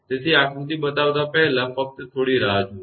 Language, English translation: Gujarati, So, before showing this diagram that just hold on